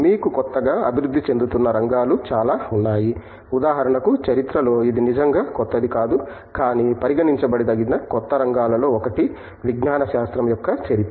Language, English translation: Telugu, You have lot of new emerging areas, for example; in the history one of itÕs not really new but, one of the new areas that can be counted is history of science